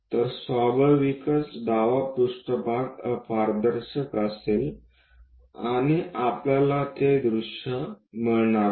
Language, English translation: Marathi, So, naturally on the left plane will be opaque and we are going to get that view